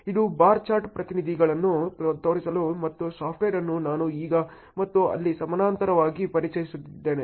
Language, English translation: Kannada, This is only to show the bar chart representations and the software also I am introducing now then and there in parallel ok